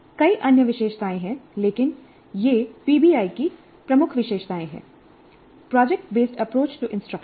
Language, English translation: Hindi, There are many other features but these are the key features of PBI, project based approach to instruction